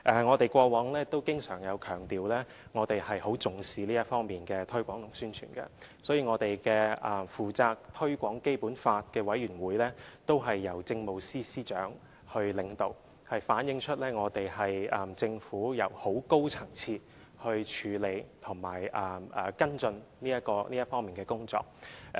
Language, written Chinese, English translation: Cantonese, 我們過往經常強調，我們很重視這方面的推廣和宣傳，所以，負責推廣《基本法》的委員會是由政務司司長領導的，這反映了政府是由很高層次的人來處理及跟進這方面的工作。, As we always stress we attach great importance to the promotion and publicity of the Basic Law and in this connection the committee responsible for promoting the Basic Law is chaired by Chief Secretary for Administration which reflects that this area of work is handled and followed up by high - level government officials